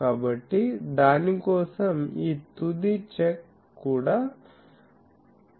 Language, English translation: Telugu, So, for that this final check also should be there